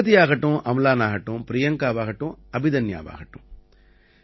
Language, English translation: Tamil, There should be Pragati, Amlan, Priyanka and Abhidanya